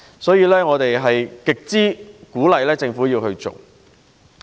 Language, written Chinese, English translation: Cantonese, 因此，我們很鼓勵政府利用工廈。, Therefore we strongly encourage the Government to make use of industrial buildings